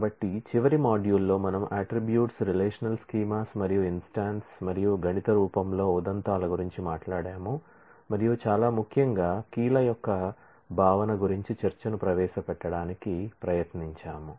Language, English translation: Telugu, So, in the last module we have talked about attributes relational schemas and instances in mathematical form and very importantly we have tried to introduce discuss about the concept of keys